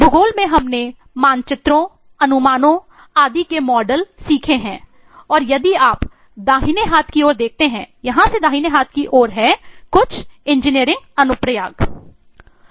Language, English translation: Hindi, in geography we have eh learnt models of maps, projections and so on and if you look into the right hand side eh in here these are on the right hand side are some of the engineering applications